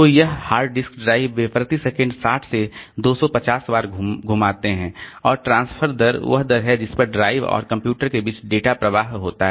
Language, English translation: Hindi, So, this hard disk drives they rotate at 60 to 250 times per second and transfer rate is the rate at which data flows between drive and computer